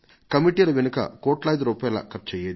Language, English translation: Telugu, Crores of rupees would be spent on these committees